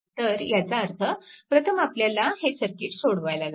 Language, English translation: Marathi, So, that means, first you have to solve this circuit right, you have to solve this circuit